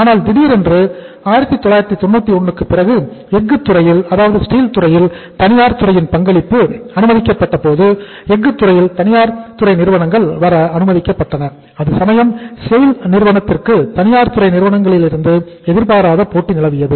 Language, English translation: Tamil, But suddenly after 1991 when the private sector participation was allowed in the steel sector private sector firms were allowed to come up in the steel sector, in that case SAIL got unforeseen competition from the private sector players